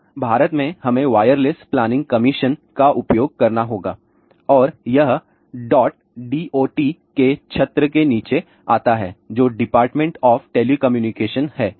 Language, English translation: Hindi, Now, in India we have to use wireless planning commission and this comes under the umbrella of DOT which is department of telecommunication